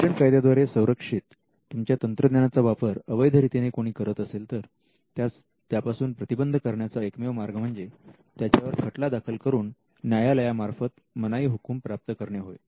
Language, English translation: Marathi, The only way you can stop a person from using your technology which is protected by patents is to litigate and to get an order from the court restraining that person from using your patent